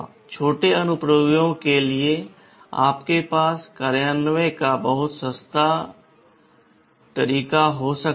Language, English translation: Hindi, For small applications, you can have much cheaper mode of implementation